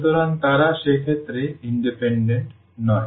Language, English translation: Bengali, So, they are not independent in that case